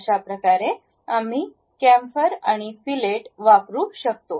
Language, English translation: Marathi, This is the way we use chamfering and fillet